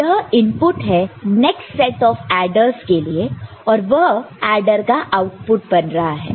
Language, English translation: Hindi, So, this is the input to the next set of adders that is going as the adder output ok